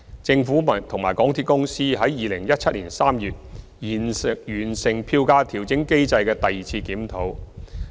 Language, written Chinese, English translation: Cantonese, 政府和港鐵公司在2017年3月完成票價調整機制的第二次檢討。, The Government and MTRCL completed the second review of the Fare Adjustment Mechanism in March 2017